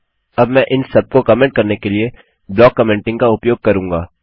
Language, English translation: Hindi, Now what Ill do is Ill use block commenting to comment out all of these